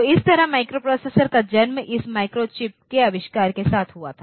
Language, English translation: Hindi, So, that way the microprocessor was born processor was and with the invention of this microchip then this microprocessors came into existence